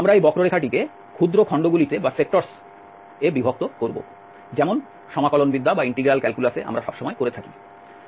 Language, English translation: Bengali, We will break this curve into small, small sectors as we do always in the integral calculus also